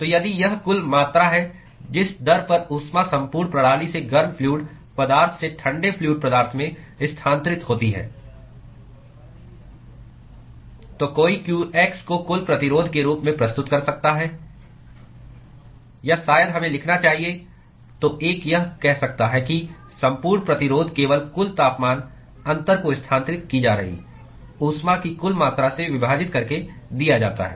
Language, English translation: Hindi, So, if this is the total amount of rate at which the heat is transferred from the overall system from the hot fluid to the cold fluid, then one could represent q x as the total resistance or maybe we should write so, one could say that the overall resistance is simply given by the overall temperature difference divided by the total amount of heat that is being transferred